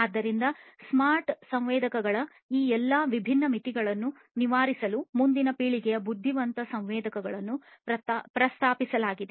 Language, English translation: Kannada, So, for overcoming all of these different limitations of smart sensors, next generation intelligent sensors have been proposed